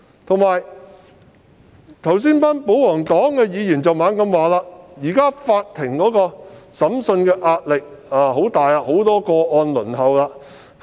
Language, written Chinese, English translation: Cantonese, 此外，保皇黨議員剛才不斷指出，現時法庭的審訊壓力很大，有很多個案正在輪候處理。, Moreover the royalist Members kept saying just now that the Judiciary had been put under immense pressure to hear these cases and a large number of cases are pending trial